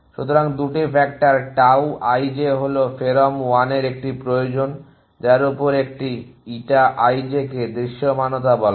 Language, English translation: Bengali, So, there 2 factors tau i j is a want of pherom1 on that which an eta i j is called visibility